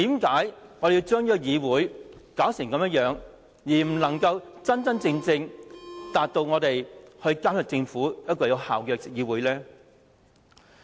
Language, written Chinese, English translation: Cantonese, 為何要把議會變成一個不能夠真正做到有效監察政府的議會呢？, Why do we have to turn the Council into one which cannot really monitor the Government effectively?